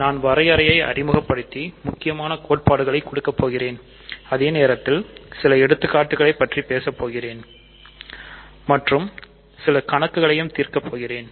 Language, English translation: Tamil, I will introduce some definitions and do important theorems, but at the same time I will talk about various examples and solve problems in my videos